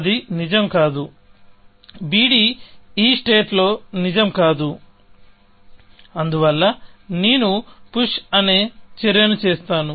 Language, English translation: Telugu, That is not true; on b d is not true in my, this state, and therefore, I push and action, which will make this true